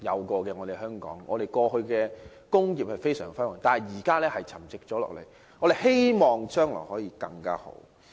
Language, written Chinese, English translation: Cantonese, 過去香港的工業發展非常輝煌，但現在卻沉寂下來，希望將來可發展得更好。, Hong Kongs industrial developments which used to be very glorious have become stagnant these days . Hopefully the future development will be better